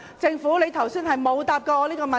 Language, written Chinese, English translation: Cantonese, 政府剛才沒有回答我這個問題。, The Government has not responded to this question earlier